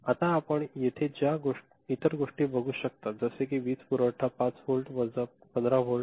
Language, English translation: Marathi, Now, the other things that you see over here these are the power supply ok, 5 volt minus 15 volt